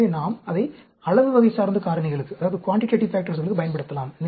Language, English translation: Tamil, So, we can use it for quantitative factors